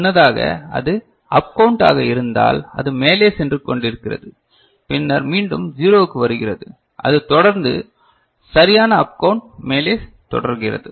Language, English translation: Tamil, Earlier, if it was up count then it is going on, up count and then coming back to 0 again, it continues to up count right